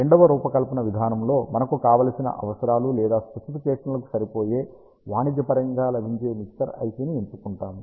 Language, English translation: Telugu, In the second design approach, we will choose a commercially available mixer IC which can fit our ah desired requirements or specifications